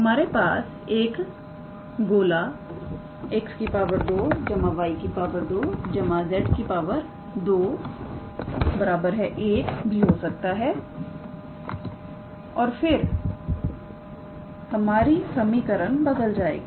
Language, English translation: Hindi, We can also have a sphere x square plus y square plus z square equals to 1 and then this equation would change